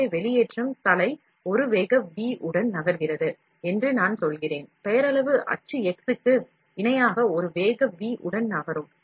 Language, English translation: Tamil, So, I am just saying if the extrusion head is moving with a velocity v; is moving with a velocity v, parallel to the nominal axis x